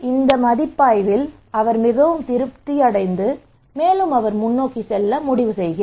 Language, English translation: Tamil, So he was very satisfied with this review and he decided to go forward